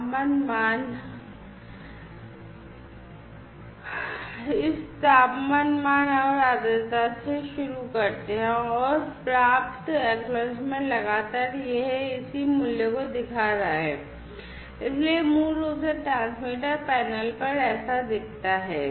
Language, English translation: Hindi, The temperature value let us start from somewhere this temperature value, and the humidity, and the acknowledgment received continuously, you know, it is showing the corresponding values, you know so this is basically how it looks like at the at the transmitter panel